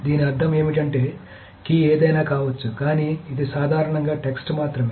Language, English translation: Telugu, So what does it mean is that the key can be anything but it's generally only the text